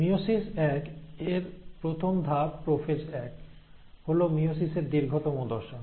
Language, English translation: Bengali, Now the first step of meiosis one which is prophase one is the longest phase of meiosis